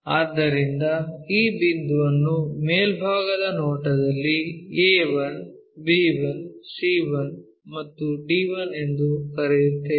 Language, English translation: Kannada, Let us consider this a projection one a 1, b 1, c 1, d 1